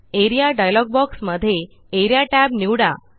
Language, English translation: Marathi, In the Area dialog box, select the Area tab